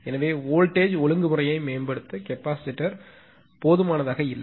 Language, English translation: Tamil, Therefore, the capacitor installed, to improve the voltage regulation are not adequate